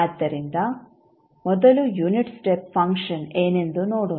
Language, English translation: Kannada, So, first let us see what is unit step function